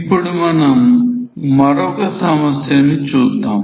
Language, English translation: Telugu, Let us see another similar type of problem